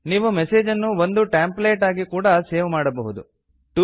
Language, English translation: Kannada, You can also save the message as a template